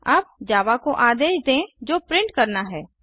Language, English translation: Hindi, Now let us tell Java, what to print